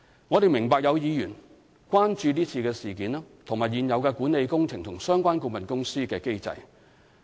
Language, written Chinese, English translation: Cantonese, 我們明白有議員關注這次事件，以及現有管理工程及相關顧問公司的機制。, We understand that Members are concerned about the current incident as well as the existing mechanism for management of projects and related consultants